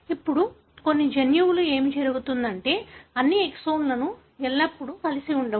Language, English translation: Telugu, Now, what happens in some of the genes is that not all the exons are joined together always